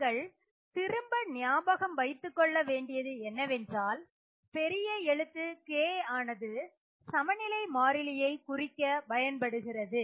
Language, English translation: Tamil, Again, remember capital K is what we use for equilibrium constants